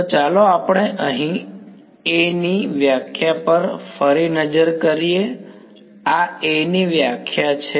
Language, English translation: Gujarati, So, let us look back at our definition of A over here right, this is a definition of A